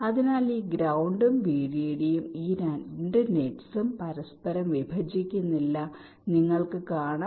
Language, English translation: Malayalam, so these ground and v d d, these two nets, are not intersecting each other, you can see